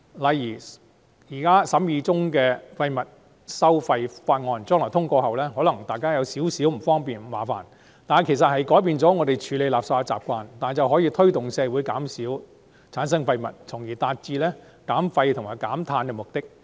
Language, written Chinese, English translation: Cantonese, 例如《2018年廢物處置條例草案》通過後，雖然可能對市民有點不便，卻有助改變我們處理垃圾的習慣、減少產生廢物，從而達致減廢及減碳。, For example while the passage of the Waste Disposal Amendment Bill 2018 may cause inconvenience to the public it is conducive to changing our waste disposal habits and reducing the generation of waste thereby reducing waste and carbon emissions